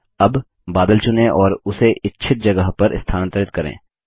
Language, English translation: Hindi, Now select the cloud and move it to the desired location